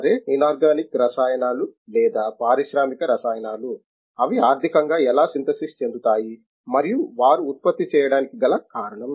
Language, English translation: Telugu, Okay therefore, the inorganic chemicals or even industrial chemicals, how they can be economically synthesize and they also produced that is the reason